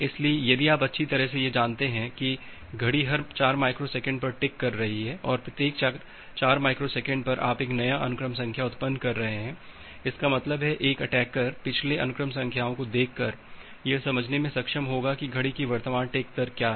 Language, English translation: Hindi, So, if you know that well the clock is ticking at every 4 microsecond and at every 4 microsecond you are generating a new sequence number; that means, an attacker will be able to understand by looking into the previous sequence numbers that, what is the clock tick rate, current clock tick rate